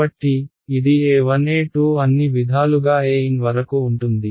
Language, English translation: Telugu, So, that will be a 1, a 2 all the way up to a n